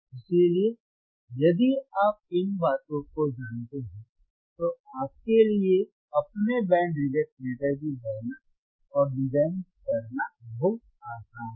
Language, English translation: Hindi, So, this if you know thisese things, iit is very easy for you to calculate how you canand design your band reject filter